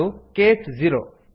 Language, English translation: Kannada, This is case 0